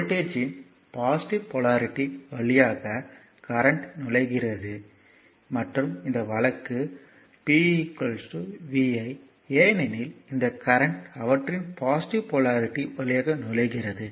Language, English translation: Tamil, Now whatever I told right by the passive sign convention current enters through the positive polarity of the voltage and this case p is equal to vi, because this current is entering through their positive polarity